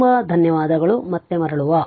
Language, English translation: Kannada, Thank you very much we will be back again